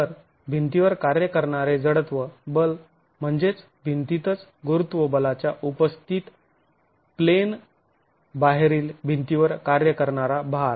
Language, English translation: Marathi, So the inertial force acting on the wall is what is the out of plane load acting on the wall in the presence of the gravity force in the wall itself